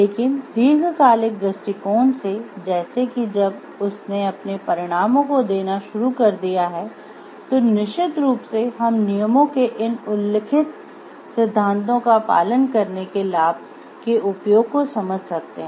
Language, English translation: Hindi, But the long term perspective like when it has started yielding its result, then of course we can get to understand the use the benefit of following these stated principles of rules